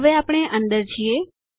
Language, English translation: Gujarati, Now we are in